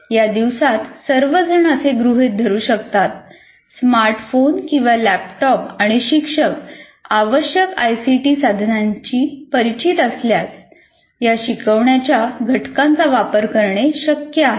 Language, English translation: Marathi, But if you, these days, assuming that all students have smartphones or laptops, and then the teacher is familiar with a particular ICT tool, they can readily be used